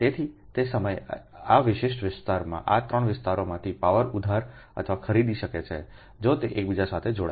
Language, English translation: Gujarati, so at that time this particular area can borrow or purchase power from from this three areas